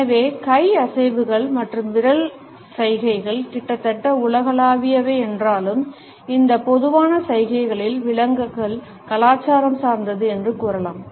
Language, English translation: Tamil, So, one can say that even though the hand movements and finger gestures are almost universal the interpretations of these common gestures are cultural